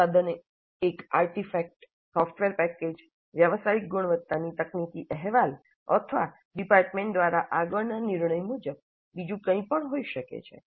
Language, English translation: Gujarati, The product can be an artifact, a software package, a professional quality technical report, or anything else as decided upfront by the department